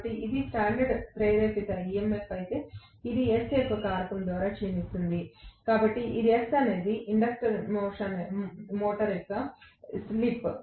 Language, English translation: Telugu, So, if this is the standstill rotor induced EMF, it will decline by a factor of S, where S is actually the slip of the induction motor